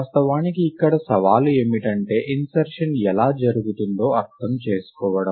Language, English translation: Telugu, Of course the challenge here, is to understand how the insertion happens